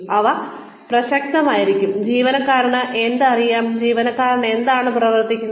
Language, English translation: Malayalam, They should be relevant to, what the employee knows, and what the employee is working towards